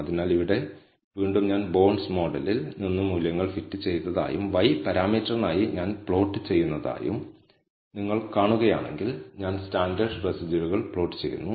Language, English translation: Malayalam, So, again here, if you see I have fitted values from the bonds model and I am plotting for the y parameter, I am plotting the standardized residuals